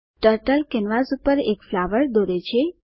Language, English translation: Gujarati, Turtle draws a flower on the canvas